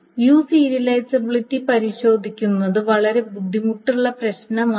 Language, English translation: Malayalam, So testing for view serializability is a hard problem